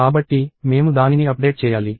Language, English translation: Telugu, So, I have to update it